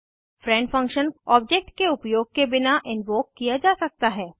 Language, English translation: Hindi, Friend function can be invoked without using an object